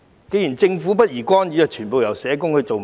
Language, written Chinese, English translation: Cantonese, 既然政府不宜干預，那全部由社工負責便可。, If it is not appropriate for the Government to intervene it may as well let social workers assume full responsibility